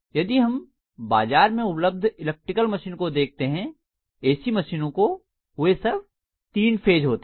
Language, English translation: Hindi, So if you look at many of the electrical machines that are available in the market, AC machines, they are all three phase in nature